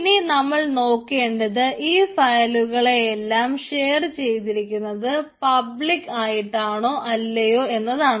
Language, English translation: Malayalam, now we need to check whether the all the files are shared publicly or not